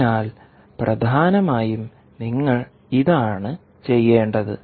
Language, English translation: Malayalam, so essentially, what you have to do, you this